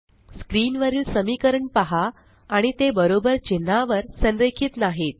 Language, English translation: Marathi, Notice the equations on the screen, and they are not aligned on the equal to character